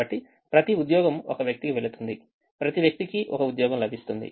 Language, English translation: Telugu, so each job goes to one person, each person gets one job